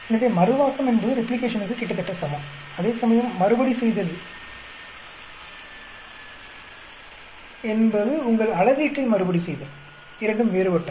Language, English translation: Tamil, So, Reproducibility is almost same as Replication, whereas Repeatability is repeatability of your measurement; both are different